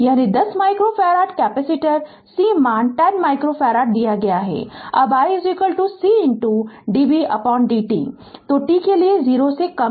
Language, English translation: Hindi, So, we know that is 10 micro farad capacitor right C value is given 10 micro farad now i is equal to C into dv by dt